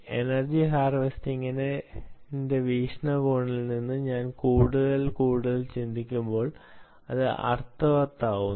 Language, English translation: Malayalam, ok, i think more and more from an energy harvesting perspective, this make sense